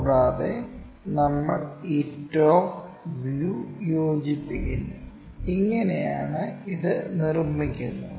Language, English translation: Malayalam, And, we join this top views, this is the way we construct it